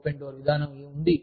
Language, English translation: Telugu, There is an open door policy